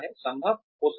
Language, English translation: Hindi, May be possible, may be